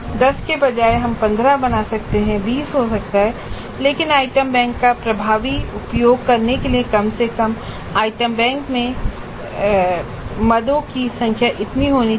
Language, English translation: Hindi, Instead of 10 we could create 15 it could be 20 but at least this much should be the number of items in the item bank in order to make effective use of the item bank